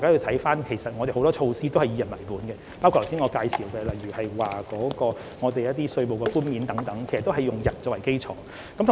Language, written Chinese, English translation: Cantonese, 不過，其實我們有很多措施是"以個人為本"，包括我剛才介紹的稅務寬免，也是以個人作為基礎。, However in fact many of our measures are individual - based including the tax concessions that I have briefly talked about a moment ago